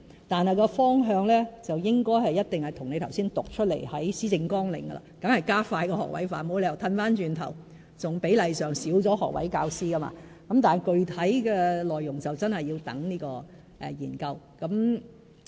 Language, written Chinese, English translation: Cantonese, 但是，方向一定是與你剛才讀出施政綱領的內容一致的，當然是加快學位化，沒有理由倒退為減少學位教師的比例，但具體內容真的要待研究完成才決定。, But we will definitely go in the direction as set out in your quotation from the policy agenda just now . We will certainly expedite the creation of more graduate teaching posts . I cannot see any reason why we should take the retrogressive step of reducing the proportion of graduate teachers